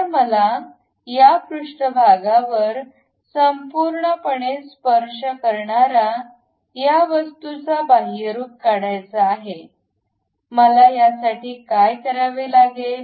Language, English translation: Marathi, So, I would like to have a extrude of this object entirely touching this surface; to do that what I have to do